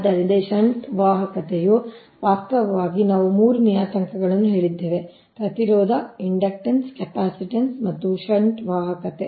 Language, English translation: Kannada, actually we have told three parameters for resistance, ah, inductance capacitance and shunt conductance